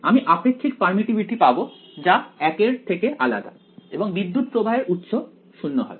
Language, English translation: Bengali, I will have relative permittivity to be different from 1 and current source will be 0 right